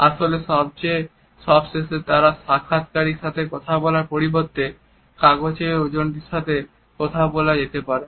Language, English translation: Bengali, In fact, they may end up talking to a paper weight instead of talking to the interviewer